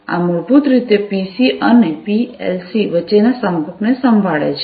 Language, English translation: Gujarati, This basically handles the communication between the PCs and the PLCs